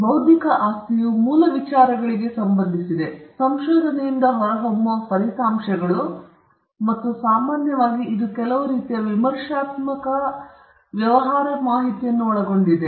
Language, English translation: Kannada, Intellectual property relates to original ideas, results that emanate from research, and generally, it covers some kind of critical business information